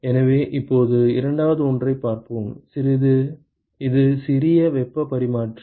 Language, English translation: Tamil, So, now let us look at the second one, which is the compact heat exchanger